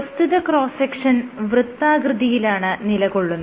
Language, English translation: Malayalam, So, the cross section is circular